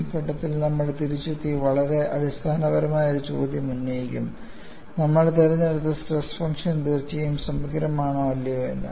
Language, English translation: Malayalam, At that stage, we will come back and raise a very fundamental question, whether the stress function we have selected is indeed comprehensive or not